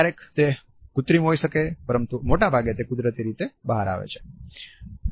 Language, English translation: Gujarati, Sometimes it can be artificial, but most of the times it comes out naturally